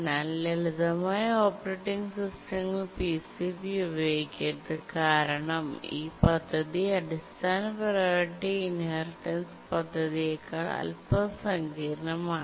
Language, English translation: Malayalam, Very, very simple operating systems don't use PCP because the scheme is slightly more complicated than the basic priority inheritance scheme in the highest locker scheme